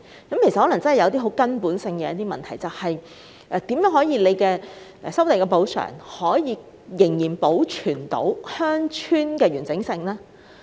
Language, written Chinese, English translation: Cantonese, 當中可能真的存在根本性問題，那便是政府進行收地補償時，如何能保存鄉村的完整性？, It may thus be true that a fundamental problem does exist and that is How can the Government preserve the integrity of rural villages during the process of land resumption and compensation?